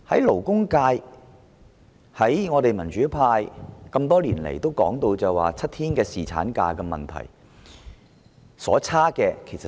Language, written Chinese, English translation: Cantonese, 勞工界和民主派多年來提出7天侍產假的建議。, Nevertheless the labour sector and the democrats have been advocating the proposal of seven days paternity leave for years